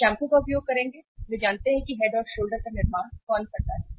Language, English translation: Hindi, They will use the shampoo, they know that who manufactures Head and Shoulder